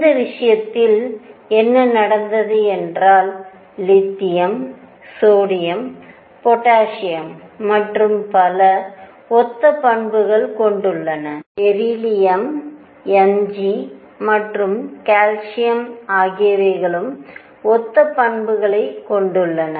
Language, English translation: Tamil, And in this case what happened was Li lithium, sodium, potassium and so on they showed similar properties, beryllium Mg and calcium and so on, they showed similar properties